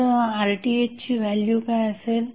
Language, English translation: Marathi, So, what would be the value of Rth